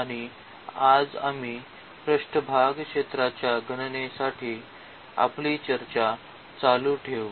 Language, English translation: Marathi, And today we will continue our discussion for computation of surface area